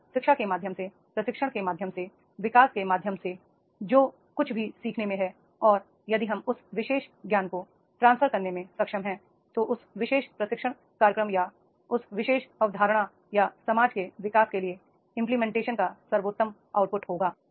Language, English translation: Hindi, If whatever learning is there through the education, through the training, through the development and if we are having that able to transfer that particular knowledge that will be the best output of that particular training program or that particular concept implementation or development of the society is there